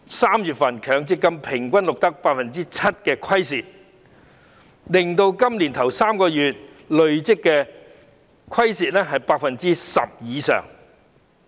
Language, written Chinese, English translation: Cantonese, 3月的強積金平均錄得 7% 虧蝕，令今年首3個月的累積虧蝕達 10% 以上。, In March MPF recorded an average loss of 7 % making the cumulative loss of the first three months to over 10 %